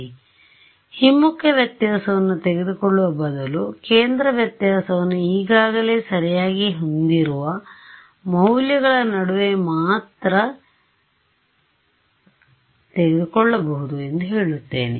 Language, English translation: Kannada, So, I am saying instead of taking the backward difference I take centre difference centre difference I can only take between the values that I already have right